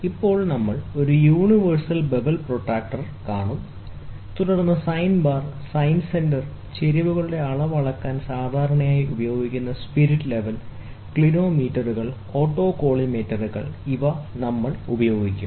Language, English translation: Malayalam, Then we will see a universal bevel protractor, then sine bar, sine center, measurement of inclines, spirit level, which is commonly used, clinometers, and finally, autocollimator, we will be using it